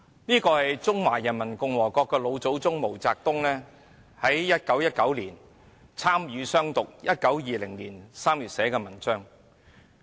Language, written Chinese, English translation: Cantonese, 這是中華人民共和國的老祖宗毛澤東在1919年參與"湘獨"，其後在1920年3月寫的文章。, This is an article written by the founding father of the Peoples Republic of China MAO Zedong in March 1920 after his participation in the Hunan independence movement in 1919